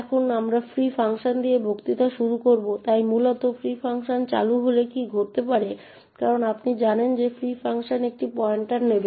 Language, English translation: Bengali, Now today we will start the lecture with the free functions, so essentially what could happen when the free function gets invoked as you know the free function would take a pointer